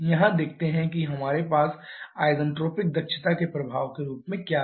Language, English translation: Hindi, Now let us see what we have as an effect of the isentropic efficiencies